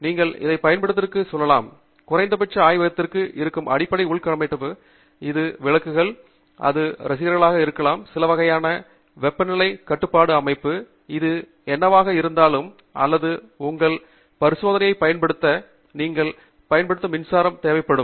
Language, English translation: Tamil, I mean any lab you go to, at least to power the basic infrastructure that is there in the lab it could be lights, it could be fans, it could be some kind of, you know, temperature control system, whatever it is or to even just power equipment that you use for your experiment, you are going to need electricity